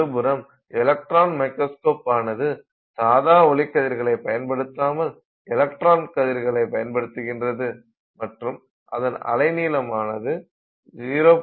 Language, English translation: Tamil, On the other hand, electron microscopes use electron beams, they don't use visible light and their wavelength is about 0